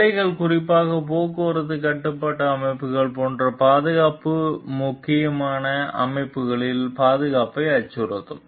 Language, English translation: Tamil, Bugs especially likely to threaten safety in safety critical systems such as traffic control systems